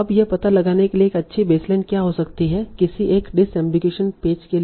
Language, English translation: Hindi, Now what can be good baseline to find out what is an appropriate disarmigation page